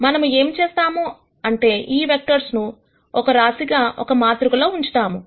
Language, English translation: Telugu, Where, what we do is we stack these vectors, into a matrix